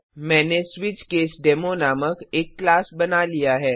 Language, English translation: Hindi, I have created a class named SwitchCaseDemo